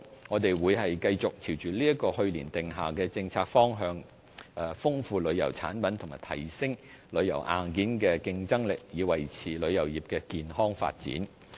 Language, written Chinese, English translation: Cantonese, 我們會繼續朝着去年訂下的政策方向，豐富旅遊產品及提升旅遊硬件的競爭力，以維持旅遊業的健康發展。, We will follow the policy direction laid down last year to enrich our tourism products and enhance the competitiveness of our tourism hardware with a view to maintaining the healthy development of the tourism industry